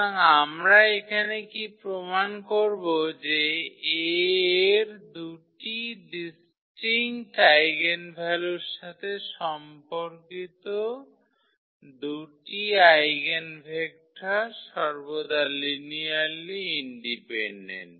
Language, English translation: Bengali, So, what we will prove here that two eigenvectors corresponding to two distinct eigenvalues are always linearly independent